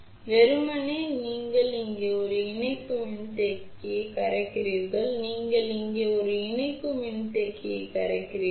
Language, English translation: Tamil, So, simply you solder a coupling capacitor here, you solder a coupling capacitor over here